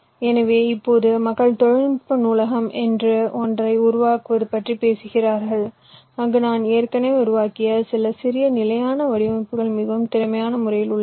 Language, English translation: Tamil, so now people talk about creating something called ah technology library where some of the small standard designs i have already created in a very efficient way